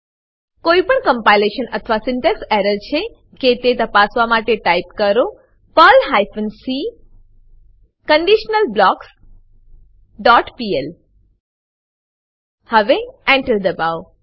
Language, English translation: Gujarati, Type the following to check for any compilation or syntax error perl hyphen c conditionalBlocks dot pl and press Enter